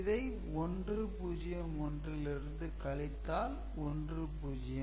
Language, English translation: Tamil, So, 0, 1 is subtracted from 0 so this is 1 right